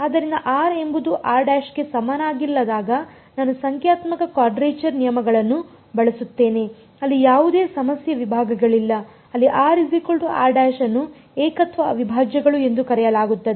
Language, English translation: Kannada, So, when r is not equal to r prime I will use numerical quadrature rules no problem segments where r is equal to r prime those are what are called singular integrals